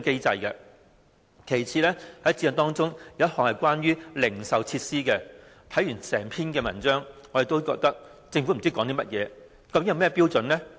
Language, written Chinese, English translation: Cantonese, 在《規劃標準》也有一項關於零售設施的規定，但我們不知道政府究竟有甚麼標準？, There are also provisions in HKPSG on retail facilities but we do not know what standards the Government has in mind